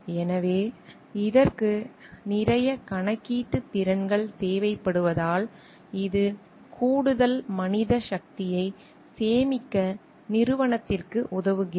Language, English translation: Tamil, So, because it requires lot of computational skills these helps the organization to save an additional man power